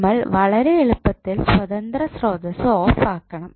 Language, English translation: Malayalam, We have to simply turn off the independent sources